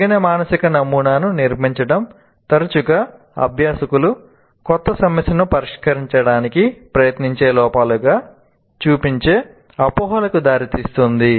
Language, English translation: Telugu, And building an inappropriate mental model often results in misconceptions that show up as errors when learners attempt to solve a new problem